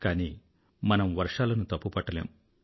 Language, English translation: Telugu, But why should we blame the rains